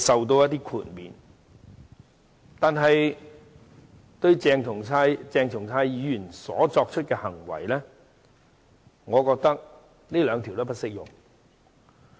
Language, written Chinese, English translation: Cantonese, 但是，就鄭松泰議員作出的行為，我覺得上述兩項條文均不適用。, However I think both of the aforementioned provisions are not applicable to the acts of Dr CHENG Chung - tai